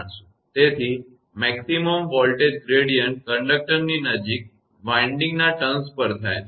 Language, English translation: Gujarati, Therefore the maximum voltage gradient takes place at the winding turns nearest to the conductor